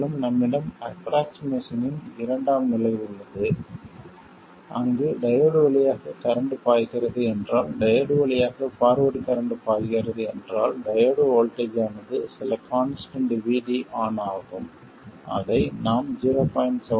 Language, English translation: Tamil, And we have a second level of approximation where we say that if there is current flowing through the diode at all, forward current flowing through the diode, then the diode voltage is some constant VD on which we will take as 0